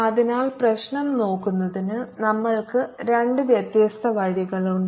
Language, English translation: Malayalam, so we have two different ways of looking at the problem